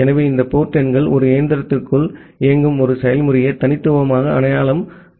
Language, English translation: Tamil, So, this port numbers are used to uniquely identify a process which is running inside a machine